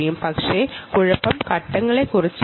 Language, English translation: Malayalam, but the trouble is not about the steps